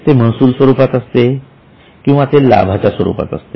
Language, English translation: Marathi, It can be revenues or it can be gains